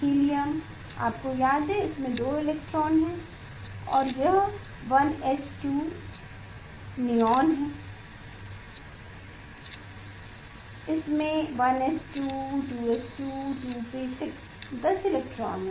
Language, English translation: Hindi, Helium, you remember it has two electron and it is 1s 2 Neon, it has 1s 2 2s 2 2p 6 10 electron